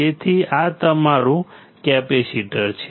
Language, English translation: Gujarati, So, this is your capacitor